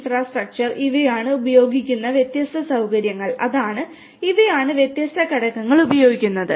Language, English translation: Malayalam, These are the different facilities that are used and that are the, these are the different components that are used